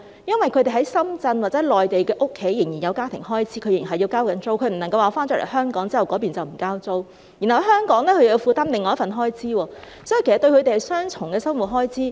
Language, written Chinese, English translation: Cantonese, 因為他們在深圳或內地的家仍有家庭開支，他們仍然要交租，不能因為身在香港便不繳交當地的租金，然後在香港又要負擔另一份開支，所以，對他們而言是雙重的生活開支。, It is because they still have family expenses in Shenzhen or the Mainland . They still need to pay rents and will not be exempted from rents there because they are in Hong Kong . And then they have to shoulder another part of expenditure in Hong Kong